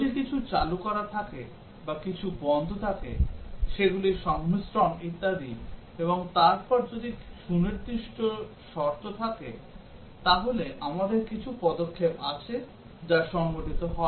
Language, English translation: Bengali, If something is switched on or something is switched off, combinations of those and so on; and then if specific conditions holds then we have some actions that take place